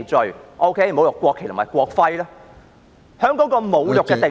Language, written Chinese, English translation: Cantonese, 在侮辱國旗和國徽的罪行中，"侮辱"的定義......, In the offence of desecrating the national flag or national emblem the definition of desecrating